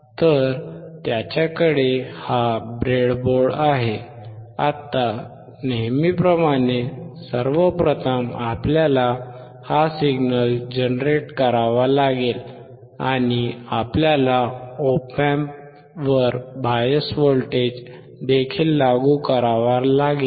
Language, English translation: Marathi, So, he has this breadboard, now as usual, first of all we have to generate this signal, and we also have to apply the bias voltage to the op amp